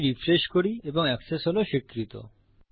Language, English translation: Bengali, We refresh this and Access is granted